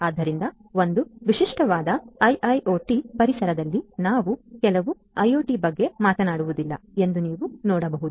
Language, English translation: Kannada, So, as you can see that in a typical IIoT environment, we are not just talking about IoT